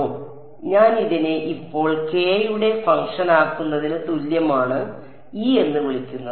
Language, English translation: Malayalam, So, I call E is equal to I make this E naught now a function of k